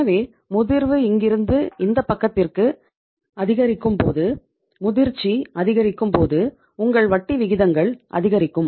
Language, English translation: Tamil, So it means longer the duration means as the maturity is increasing here from this to this side when the maturity is increasing your interest rates is increasing